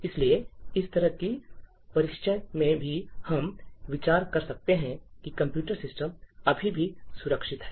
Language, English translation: Hindi, Therefore, in such a scenario also we can consider that the computer system is still secure